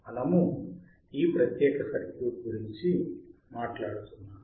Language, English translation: Telugu, We are talking about this particular circuit